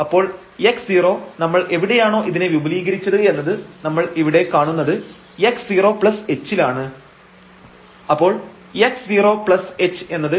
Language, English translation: Malayalam, So, x 0 where we have expanded this around and the point which we are considering here x 0 plus h